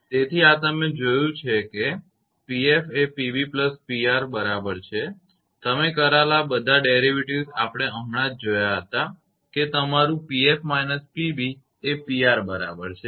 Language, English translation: Gujarati, So, this one you have seen that P f is equal to P b plus P R all the derivations you have just we have seen right, that your P f minus P b is equal to it will be P R